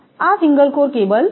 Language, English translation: Gujarati, This is single core cable